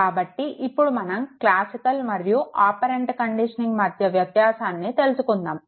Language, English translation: Telugu, So, we will now try to establish the difference between classical and operant conditioning